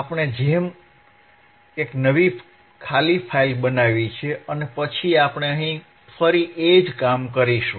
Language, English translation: Gujarati, So, we have we have created a new file a blank file and then here we will again do the same thing